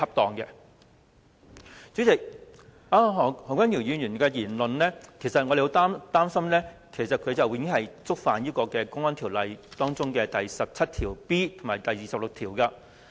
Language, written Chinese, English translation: Cantonese, 代理主席，何君堯議員的言論，令我們十分擔心，他已經觸犯《公安條例》第 17B 條和第26條。, Deputy President we worried so much about Dr HOs remarks and he has already violated sections 17B and 26 of the Public Order Ordinance